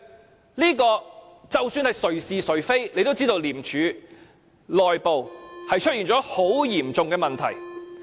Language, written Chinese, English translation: Cantonese, 就這一點，姑且不討論誰是誰非，也可知道廉署內部出現了很嚴重的問題。, In this connection let us not discuss the question of right and wrong but we know for sure that there are some extremely serious problems within ICAC